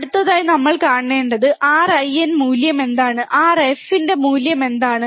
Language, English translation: Malayalam, Next, what we have to see next is, what is the value of R in, what is the value of R f